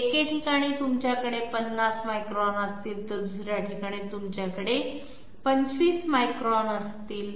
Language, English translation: Marathi, At one place you will have 50 microns, at another place you will have 25 micron